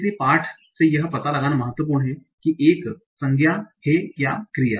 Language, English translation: Hindi, So it is important to find out from the text whether it is noun or a verb